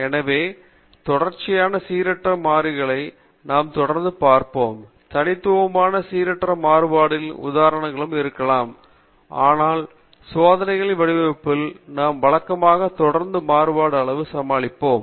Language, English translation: Tamil, So we will be looking at continuously varying random variables, there may also be examples of discrete random variables, but in our design of experiments we deal with usually continuously varying quantities